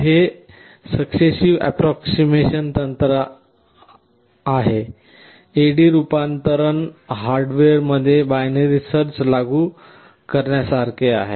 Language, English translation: Marathi, This successive approximation technique is like implementing binary search in hardware in performing the A/D conversion